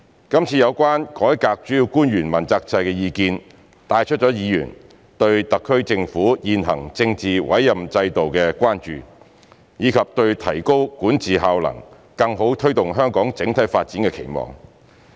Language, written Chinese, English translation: Cantonese, 今次有關"改革主要官員問責制"的意見，帶出了議員對特區政府現行政治委任制度的關注，以及對提高管治效能，更好推動香港整體發展的期望。, The views concerning Reforming the accountability system for principal officials this time around have brought out Members concerns about the SAR Governments existing political appointment system as well as their expectations of enhancing the effectiveness of the governance and better promoting the overall development of Hong Kong